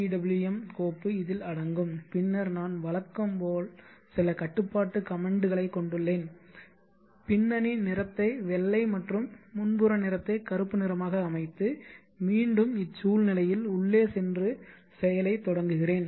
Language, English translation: Tamil, NET 5 which got just generated and then I am as usual having some control statements and setting the background color to white and foreground color to black and then initiating the random action once I go into the environment